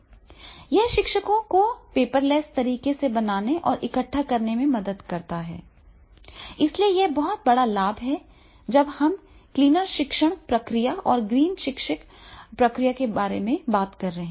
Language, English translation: Hindi, ) It helps teachers, create and collect assignments paperlessly, so this is a very big advantage when we are talking about the cleaner teaching process and the green teaching process